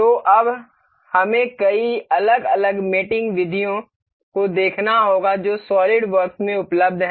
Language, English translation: Hindi, So, now, we will we will have to see many different mating mating methods that are available in SolidWorks